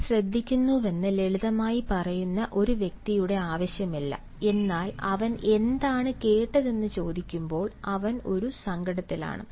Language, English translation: Malayalam, there is no need of a person who simply says that he listens to, but when he is asked about what did he listen, he simply is at across